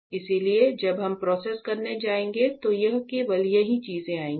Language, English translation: Hindi, And all; so when we go to process only these things will come here